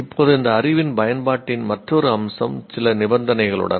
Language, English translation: Tamil, Now another aspect of this, application of knowledge with certain conditions present